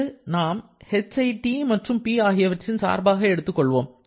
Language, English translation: Tamil, Here, we shall be considering h to be a function of T and P